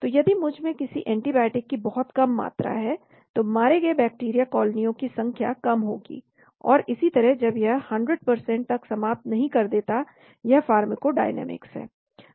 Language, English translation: Hindi, So if I have very low concentration of an antibiotic, then number of colonies bacteria killed will be low and so on until it reaches 100% killing , this is the pharmacodynamics